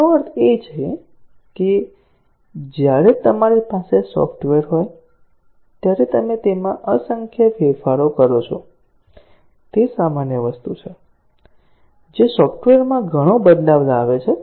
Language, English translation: Gujarati, What it really means is that, when you have software, you make numerous changes to it; that is the normal thing; that has the development undergoes lot of changes happen to the software